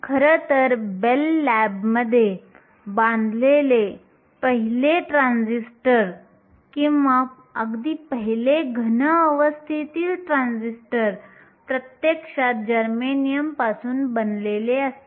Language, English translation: Marathi, In fact, the first transistor or the very first solid state transistor that was built in Bell labs is actually made of germanium